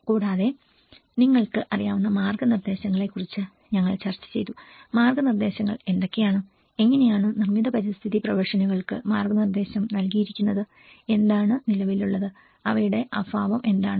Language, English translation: Malayalam, Also, we did discussed about the guidelines you know what are the guidelines, how the guidance has been provided to the built environment professions, what is existing and what is their lacuna